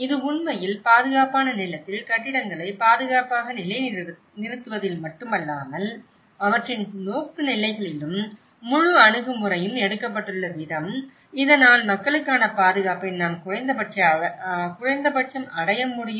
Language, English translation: Tamil, And it can actually not only at the safe positioning the buildings in the safe land but their orientations, the way the whole approach has been taken so that we can at least achieve the safety for the people